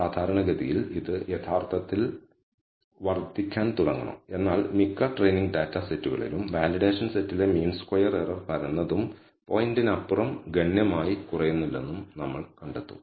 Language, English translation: Malayalam, Typically this should actually start increasing but in most experimental data sets you will find that the mean squared error on the validation set flattens out and does not significantly decrease beyond the point